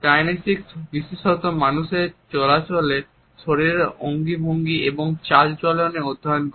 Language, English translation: Bengali, Kinesics studies body gestures and postures in the movement of the people particularly